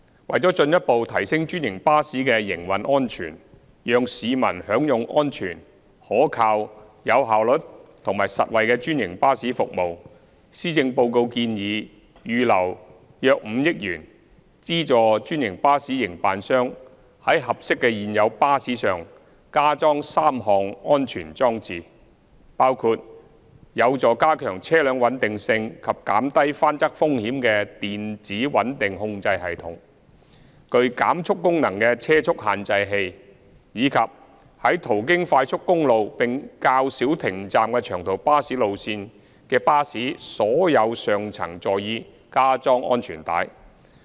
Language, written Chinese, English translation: Cantonese, 為進一步提升專營巴士的營運安全，讓市民享用安全、可靠、有效率及實惠的專營巴士服務，施政報告建議預留約5億元，資助專營巴士營辦商在合適的現有巴士上加裝3項安全裝置，包括有助加強車輛穩定性及減低翻側風險的電子穩定控制系統、具減速功能的車速限制器，以及在途經快速公路並較少停站的長途巴士路線的巴士所有上層座椅加裝安全帶。, To further enhance the operating safety of franchised buses and enable people to enjoy safe reliable efficient and affordable franchised bus service the Policy Address proposes to set aside around 500 million to subsidize franchised bus operators for retrofitting three safety devices on appropriate existing buses including the Electronic Stability Control which can improve vehicle stability and reduce the risk of rollover speed limiter with slow - down function and the installation of seat belts on all seats in the upper deck of buses deployed for long - haul routes which are operated via expressways with relatively fewer bus stops